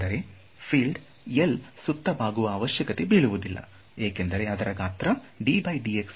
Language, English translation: Kannada, So, the field does not have anything to bend around L is so large